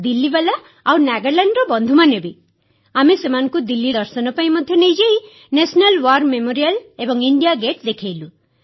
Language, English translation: Odia, We also took them around on a tour of Delhi; we showed them the National war Memorial & India Gate too